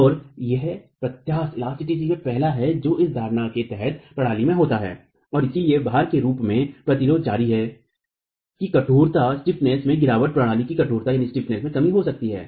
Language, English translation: Hindi, And that is the first inelasticity that occurs in the system under this assumption and you should therefore as the load resistance continues beyond that, get a drop in stiffness, a reduction in stiffness of the system